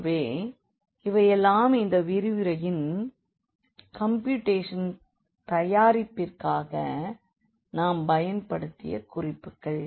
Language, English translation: Tamil, So, these are the references we have used for the computation for this preparation of the lecture and